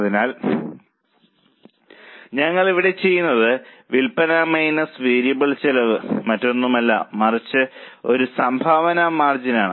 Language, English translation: Malayalam, So, what we do is here the sales minus variable cost is nothing but a contribution margin